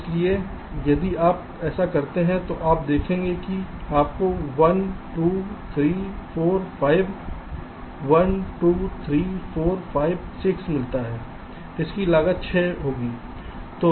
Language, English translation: Hindi, so if you do this, you will see that you get one, two, three, four, five